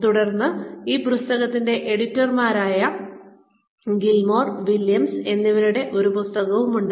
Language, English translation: Malayalam, Then, there is a book by, Gilmore and Williams, who are the editors of this book